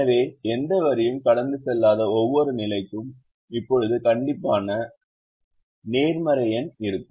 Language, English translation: Tamil, so every position that does not have any line passing through will now have a strictly positive number